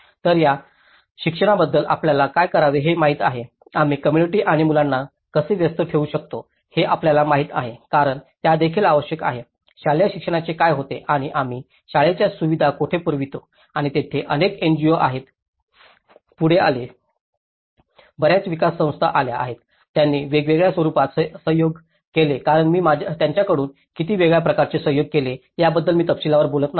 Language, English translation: Marathi, So, how about education, you know what to do, how we can engage the community and the children because you know that is also needed, what happens to the school education and where do we provide the school facilities and this is where many NGOs have came forward, many development agencies have came, they collaborated in different forms as I am not going in detail about how differently they have collaborated